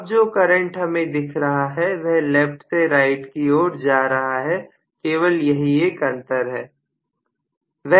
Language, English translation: Hindi, Now the current is looking as though it is going from left to right that is all the difference